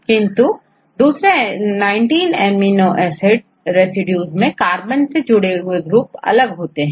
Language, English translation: Hindi, But all the nineteen amino acid residues they are the groups attached with the carbon are different